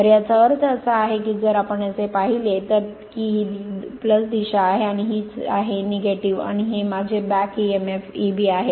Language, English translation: Marathi, So, that means, that is that means, if you look into that this is the plus direction and this is the minus, and this is my back emf E b right